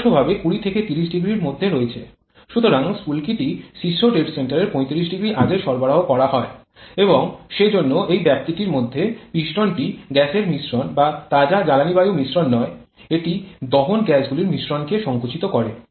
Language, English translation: Bengali, So, the spark is provided 35 degree below before that top dead center and therefore over this particular span the piston is compressing not the gas mixture or fresh fuel air mixture rather it is the mixture of combustion gases